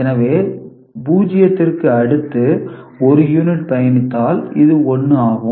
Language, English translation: Tamil, So, 0 after that 1 unit travelled, so it is 1